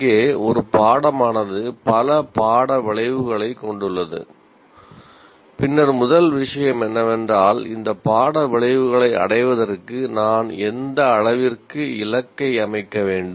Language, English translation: Tamil, Here is a course and course has several course outcomes and then first thing is to what extent do I have to set up a target for retaining this course outcomes